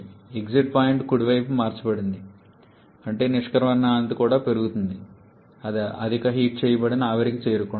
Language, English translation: Telugu, The exit point is getting shifted towards right ,that is the exit quality is also increasing it is approaching the superheated vapour